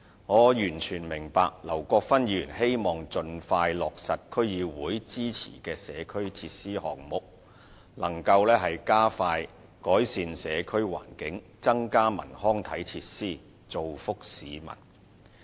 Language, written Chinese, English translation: Cantonese, 我完全明白劉國勳議員希望盡快落實區議會支持的社區設施項目，以加快改善社區環境和增加文康體設施，造福市民。, I perfectly understand Mr LAU Kwok - fans wish for early implementation of the community facility works endorsed by DCs in order to expedite the improvement of community environment and provide additional cultural recreational and sports facilities for the benefit of members of the public